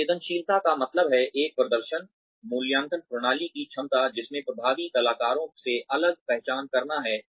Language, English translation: Hindi, Sensitivity means, the capability of a performance appraisal system, to distinguish effective from in effective performers